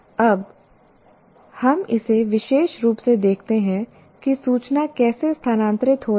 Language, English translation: Hindi, Now we look at it specifically how the information is getting transferred